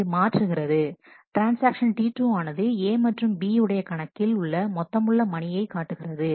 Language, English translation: Tamil, So, it transfers and transaction T 2 displays the total sum of money in the accounts A and B